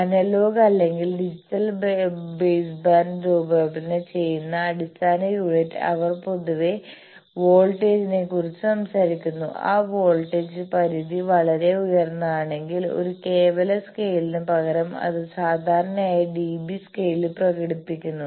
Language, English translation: Malayalam, Then the basic unit in which the analogue or digital baseband designs, they generally talk of voltage; if that voltage range is quite high, then instead of an absolute scale it is generally expressed in dB scale